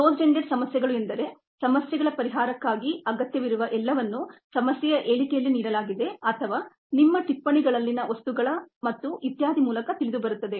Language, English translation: Kannada, closed ended problems are problems in which everything that is needed for the solution of the problem is either given in the problem statement or is known through material in your notes and so on, so forth